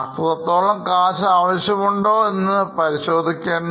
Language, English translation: Malayalam, We have to check whether they need that much of cash